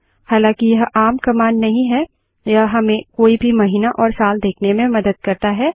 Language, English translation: Hindi, Though not as common this helps you to see the calender of any month and any year